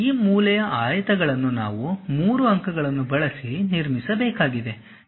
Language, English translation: Kannada, This is the way we have to construct these corner rectangles using 3 points